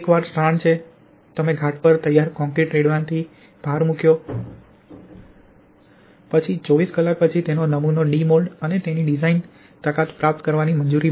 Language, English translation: Gujarati, Once the strand are stressed you pour the prepared concrete on the mould, then after 24 hours the specimen are de moulded and allowed to gain its design strength